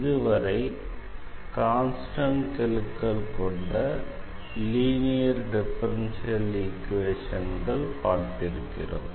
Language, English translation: Tamil, So, so far we have learnt linear differential equations with constant coefficients